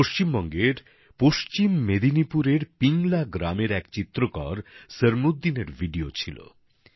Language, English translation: Bengali, That video was of Sarmuddin, a painter from Naya Pingla village in West Midnapore, West Bengal